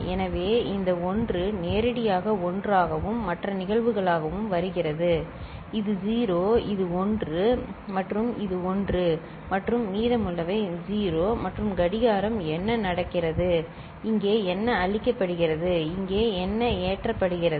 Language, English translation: Tamil, So, this 1 is coming directly as 1 right and the other cases so, this is 0 this is 1 and this is 1 and rest are 0 and after the clock trigger what is happening, what is getting fed here, what is getting loaded here